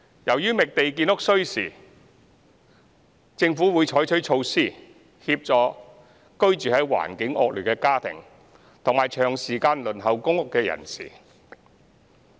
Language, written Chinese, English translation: Cantonese, 由於覓地建屋需時，政府會採取措施，協助居住環境惡劣的家庭及長時間輪候公屋人士。, As it takes time to identify land the Government will adopt measures to help families in poor living conditions and those that have long been waiting for public rental housing PRH